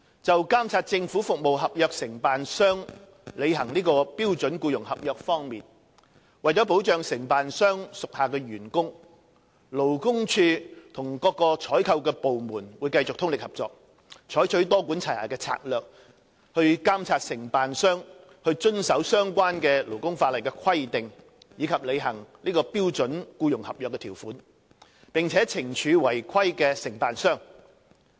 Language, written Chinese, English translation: Cantonese, 就監察政府服務合約承辦商履行標準僱傭合約方面，為保障承辦商屬下的員工，勞工處與各採購部門會繼續通力合作，採取多管齊下的策略，以監察承辦商遵守相關勞工法例的規定及履行標準僱傭合約的條款，並且懲處違規的承辦商。, Regarding the monitoring of the fulfilment of obligations under the standard employment contract by contractors of government service contracts in order to protect the employees of contractors the Labour Department LD and various procuring departments will continue to make concerted efforts and adopt a multi - pronged approach to monitoring contractors compliance with regulations under the relevant labour legislation as well as the fulfilment of obligations under the terms of the standard employment contract and will impose punishments on non - compliant contractors